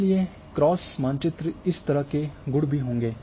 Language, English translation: Hindi, And therefore, the cross map will have this attributes as well